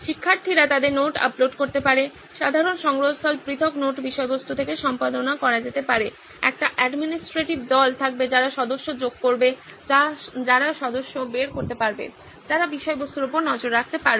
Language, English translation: Bengali, Students can keep uploading their notes, the common repository can be edited from individual note content, there will be an administrative team who will be adding members, who can take out members, who can keep a track on the content